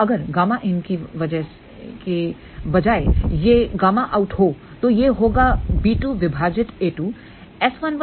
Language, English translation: Hindi, So, if instead of in if it is out, this will b 2 divided by a 2